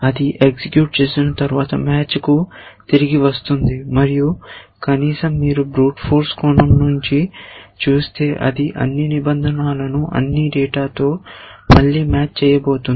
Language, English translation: Telugu, After it executes its goes back to the match and at least if you look at it from the brute force point of view, it is going to match all the rules with all the data all over again